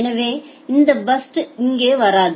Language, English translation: Tamil, So, this burst will not come here